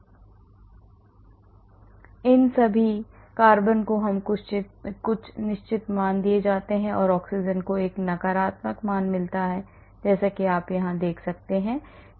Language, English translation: Hindi, So, all these carbons are given certain values , and the oxygen gets a negative value as you can see this is the log p